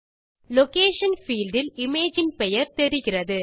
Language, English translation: Tamil, We will see the name of the image in the Location field